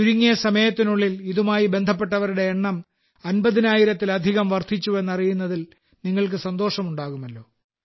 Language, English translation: Malayalam, And you will be happy to know that within no time the number of people associated with this has risen to more than 50 thousand